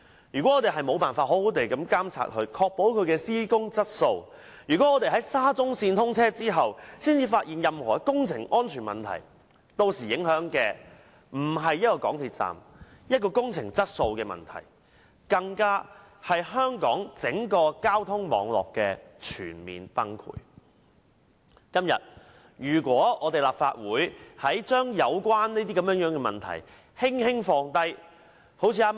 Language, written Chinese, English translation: Cantonese, 如果我們無法好好監察這項工程並確保其施工質素；如果我們在沙中線通車後才發現任何工程安全問題，屆時受影響的將不止是一個港鐵站，整件事將不再是工程質素問題，因為這會令香港整個公共交通網絡面臨全面崩潰。今天，如果立法會將有關問題輕輕放下......, If we fail to properly monitor this project and ensure its construction quality; if it is only after the commissioning of SCL that we discover any construction safety problem with it what will be affected then is not just an MTR station and the whole thing will no longer be a construction quality problem as it will bring the entire public transport network of Hong Kong to the brink of total collapse